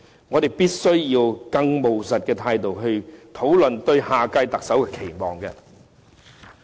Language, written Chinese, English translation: Cantonese, 我們必須以更務實的態度來討論對下屆特首的期望。, Instead we must discuss our expectations for the next Chief Executive more pragmatically